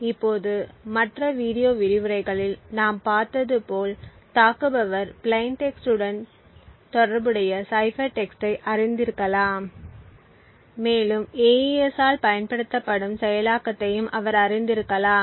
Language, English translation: Tamil, Now as we have seen in the other video lectures an attacker may actually know the plain text with a corresponding cipher text and he may also know the implementation which is used in AES